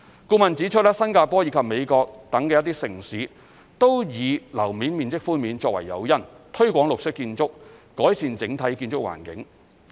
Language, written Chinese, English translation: Cantonese, 顧問指出，新加坡及美國等一些城市均以樓面面積寬免作為誘因，推廣綠色建築、改善整體建築環境。, According to the consultant GFA concessions have been granted in Singapore and some cities in the United States US as incentives to promote green buildings and enhance the overall built environment